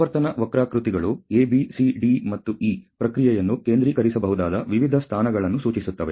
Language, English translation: Kannada, So, the frequency curves A B C D and E indicate various positions in which the process can be centered